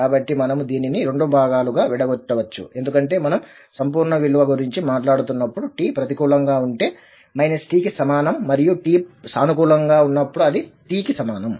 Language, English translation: Telugu, So, we can break this into two portion because when we are talking about the absolute value so if t is negative this is like minus t and when t is positive this is equal to t